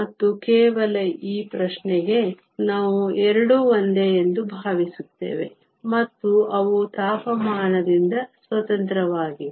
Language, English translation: Kannada, And just for this question, we assuming that both are same and that they are also independent of temperature